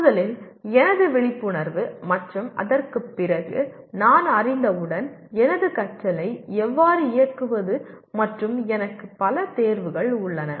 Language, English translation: Tamil, First thing my awareness and after that how do I direct my learning once I am aware of and I have several choices